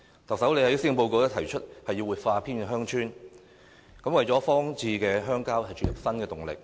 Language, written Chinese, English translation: Cantonese, 特首在施政報告提出活化偏遠鄉郊，為荒置的鄉郊注入新動力。, In the Policy Address the Chief Executive proposes the revitalization of rural and remote areas with a view to adding new impetus to desolate rural areas